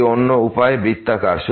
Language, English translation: Bengali, This is other way round